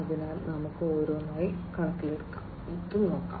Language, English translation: Malayalam, So, let us take up one by one